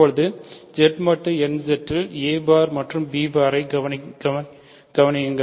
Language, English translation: Tamil, Now consider a bar and b bar in Z mod nZ